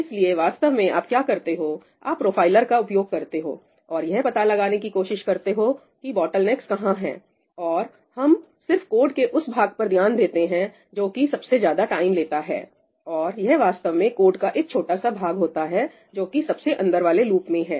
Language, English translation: Hindi, So, typically what you do is you use profilers and you figure out where your bottlenecks are, and we just concentrate on that piece of code which is the most time consuming and it’s typically a small piece of code sitting inside some number of loops